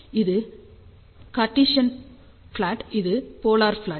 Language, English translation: Tamil, So, this is the Cartesian plot this is polar plot